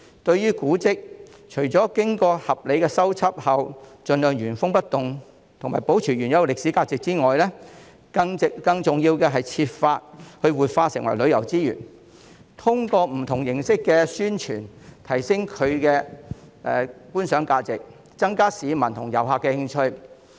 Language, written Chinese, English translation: Cantonese, 對於古蹟，除了經過合理的修葺後，盡量原封不動和保持原有的歷史價值外，更重要的是設法將之活化，繼而成為旅遊資源，通過不同形式的宣傳，提升其觀賞價值，增加市民和遊客的興趣。, Properly repaired heritage sites should be kept intact and retain their historical values . More importantly they should be revitalized and turned into tourism resources to enhance their appreciation values and increase the interest of the public and tourists through various publicity efforts